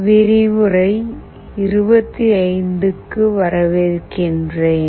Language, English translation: Tamil, Welcome to lecture 25